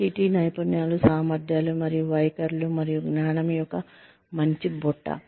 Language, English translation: Telugu, A nice basket of skills, abilities, and attitudes, and knowledge, within your kitty